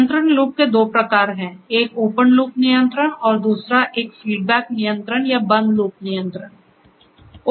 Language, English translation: Hindi, So, there are two types of control loops; one is the Open loop control; Open loop control rather and the other one is the Feedback control or the Closed loop control